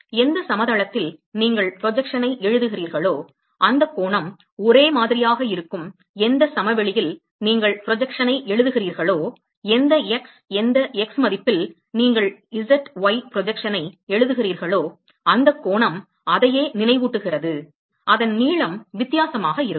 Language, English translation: Tamil, The angle remains the same wherever you write the projection whichever plain you write the projection whichever x whichever x value you write the z y projection the angle reminds the same it just the length will be different